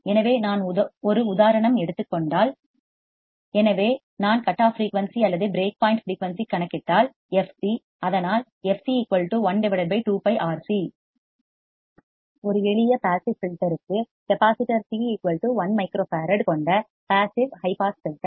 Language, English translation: Tamil, So, if I calculate the cutoff frequency or break point frequency f c; so, fc formula we can directly write one upon 2 pi R c or one by 2 pi R C for a simple passive; passive high pass filter consisting of capacitor C equals to one micro farad